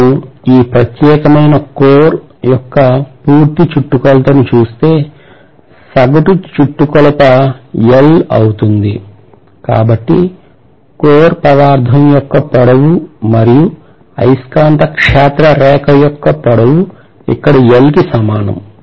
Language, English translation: Telugu, So that means I have to say, probably I have to look at the complete circumference of this particular core and if I say the average circumference is L, so I should say length of the core material or I would say on the other hand it is the magnetic field line is equal to L here